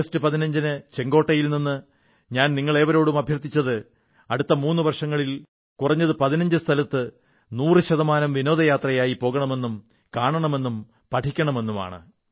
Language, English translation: Malayalam, On 15th August, I urged all of you from the ramparts of the Red Fort to visit at least 15 places within a span of the next 3 years, 15 places within India and for 100% tourism, visit these 15 sites